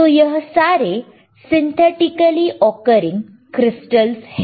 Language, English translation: Hindi, So, these are all synthetically occurring crystals